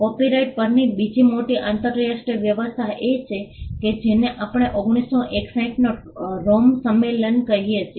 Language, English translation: Gujarati, The second major international arrangement on copyright is what we call the Rome convention of 1961